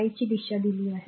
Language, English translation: Marathi, So, direction of I is given